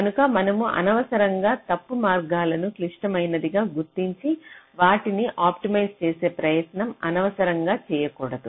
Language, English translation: Telugu, so you do not unnecessarily try to mark the wrong paths as critical and just unnecessarily put some effort in optimizing them right